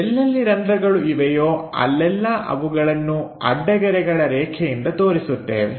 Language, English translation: Kannada, So, wherever holes are located, we just show by dash lines